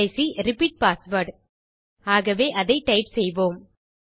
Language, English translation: Tamil, The last one is repeat password so type that